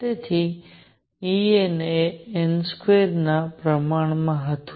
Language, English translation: Gujarati, So, E n was proportional to n square